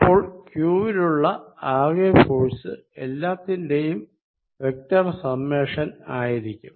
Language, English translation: Malayalam, Then the net force is going to be summation of individual forces on q, and this has to be vector sums